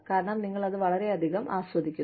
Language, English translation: Malayalam, Because, we enjoy it, so much